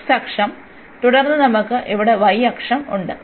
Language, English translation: Malayalam, So, x axis and then we have here the y axis